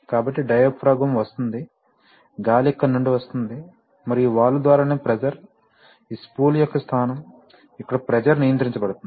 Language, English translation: Telugu, So the diaphragm is coming from, the air is coming from here, and it is through this valve that the pressure, the position of this spool, that the pressure here is being controlled, right